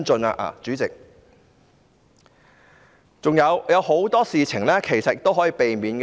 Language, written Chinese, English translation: Cantonese, 還有很多事情其實是可以避免的。, As a matter of fact a lot of incidents can be avoided